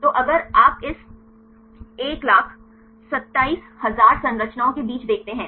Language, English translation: Hindi, So, if you see among this 127,000 structures